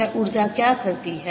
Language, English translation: Hindi, what does this energy do